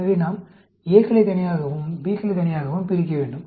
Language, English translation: Tamil, So, we need to separate the As together and the Bs together